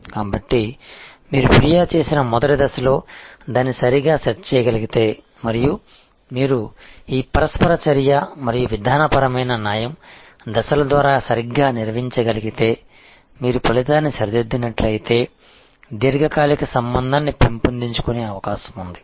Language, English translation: Telugu, So, if you are able to set it right at the very first point of complaint and you handle it properly through this interaction and procedural justice steps and you set the outcome is rectified, then, there is an opportunity to develop long term relationship